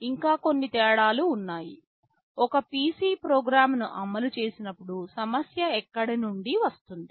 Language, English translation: Telugu, There are still some differences; when a PC executes the program, from where does the problem come from